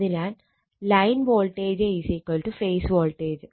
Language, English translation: Malayalam, So, line voltage is equal to phase voltage